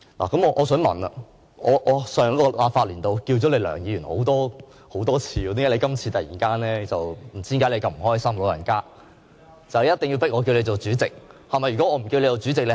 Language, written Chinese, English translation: Cantonese, 那麼我想問，我在上一個立法年度多次稱呼你為梁議員，為何你"老人家"這次如此不高興，一定要迫我稱呼你為主席呢？, I kept addressing you as Mr LEUNG in the previous Legislative Council session . So can I ask why you are so unhappy and insist on making me address you as President this time around?